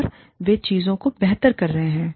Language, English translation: Hindi, And, they seem to be doing things, better